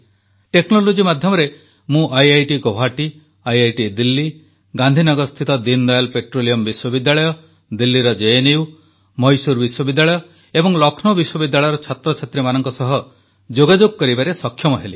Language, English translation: Odia, Through technology I was able to connect with students of IIT Guwahati, IITDelhi, Deendayal Petroleum University of Gandhinagar, JNU of Delhi, Mysore University and Lucknow University